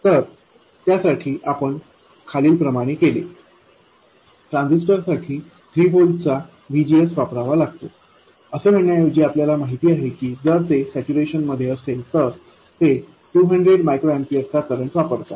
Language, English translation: Marathi, Instead of saying that the transistor should be provided with a VGS of 3 volts, so we know that if it is in saturation, it would draw a current of 200 microampiers